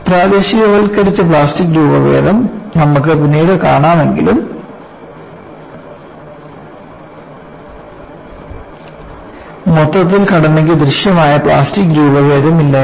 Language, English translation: Malayalam, Althoughwe would see later, there would be localized plastic deformation, the structure as a whole had no visible plastic deformation